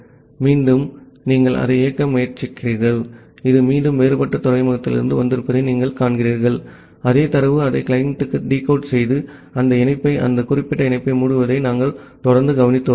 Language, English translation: Tamil, Again you can execute it, you see it is from a again a different port, the same thing we are keep on observing it has received the data decode it back to the client and closing that connection that particular connection